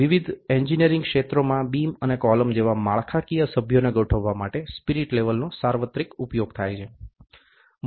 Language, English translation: Gujarati, Spirit level has universal application for aligning structural members such as beams and columns in various engineering fields